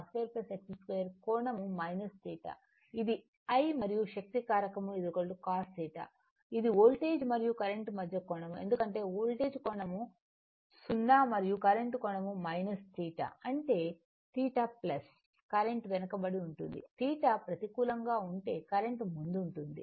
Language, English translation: Telugu, This is I and power factor is cos theta, right is the angle between the voltage and current because voltage angle is 0 and current angle is minus theta; that means, current is same if it is theta is positive then current is lagging if theta is negative then current is leading right